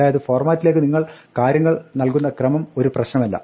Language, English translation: Malayalam, So, the order in which you supply the things to format does not matter